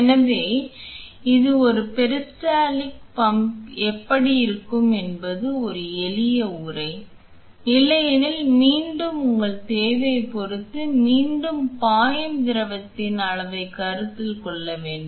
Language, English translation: Tamil, So, this was a simple casing how a peristaltic pump can look like otherwise the again depending on your requirement the volume of fluid that will be flow through again should be considered